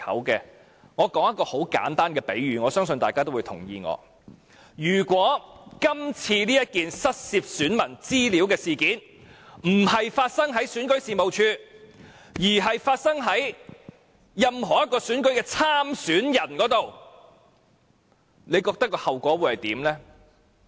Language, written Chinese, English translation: Cantonese, 讓我作很簡單的比喻，我相信大家也會認同，如果今次這件失竊選民資料事件並非在選舉事務處發生，而是在任何一個選舉參選人身上發生，你覺得後果會如何？, Let me make a simple analogy . I believe Members will agree that if the electors information stolen in this incident took place not in REOs room at the venue but in the room of one of the election candidates what would happen?